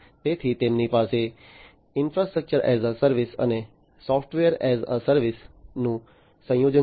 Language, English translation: Gujarati, So, they have a combination of infrastructure as a service, and software as a service solutions